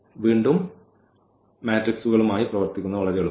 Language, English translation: Malayalam, So, again this working with the matrices are much easier